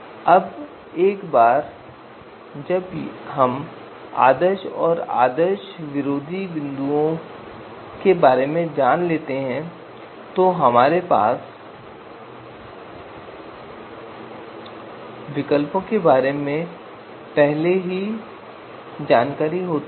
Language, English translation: Hindi, Now once we know these ideal and anti ideal points we already have the you know information on the alternatives